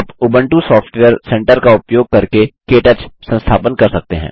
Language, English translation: Hindi, You can install KTouch using the Ubuntu Software Centre